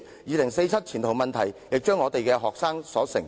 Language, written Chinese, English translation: Cantonese, 2047年前途問題，也將要由學生承受。, Students will have to face problems related to their prospects in 2047